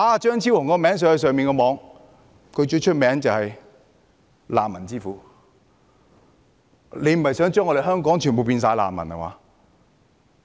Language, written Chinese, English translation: Cantonese, 在互聯網上搜尋"張超雄"，他最出名就是"難民之父"，他不是想將香港人全部變成難民吧。, If we search Fernando CHEUNG on the Internet we will see that he is well known for being the Father of refugees . Does he want to turn all the people of Hong Kong into refugees?